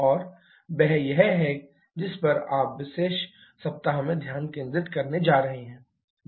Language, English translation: Hindi, And that is what you are going to focus in this particular week